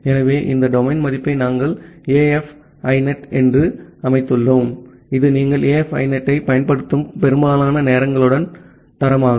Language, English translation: Tamil, So, we set this domain value as AF INET which is a standard for the time being most of the time you will use AF INET